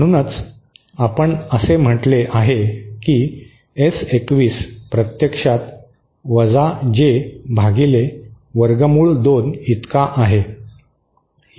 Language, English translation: Marathi, That is why we have say S21 is actually equal to J upon root 2